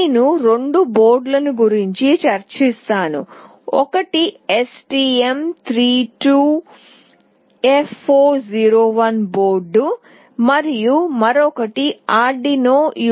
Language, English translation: Telugu, I will be discussing about two boards; one is STM32F401 board and another one is Arduino UNO